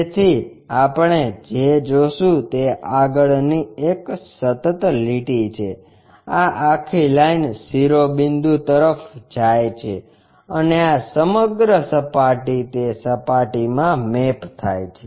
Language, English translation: Gujarati, So, what we will see is the frontal one a continuous line, this entire line goes all the way to apex and this entire surface maps as this surface